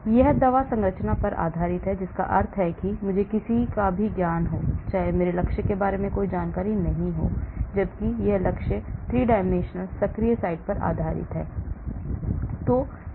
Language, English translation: Hindi, so this is based on the drug structure that means I do not know any knowledge, any information about my target whereas this is based on the target 3 dimensional active site